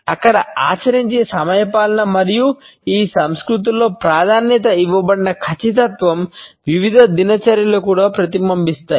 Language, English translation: Telugu, The punctuality which is practiced over there and the precision which is preferred in these cultures is reflected in various routines also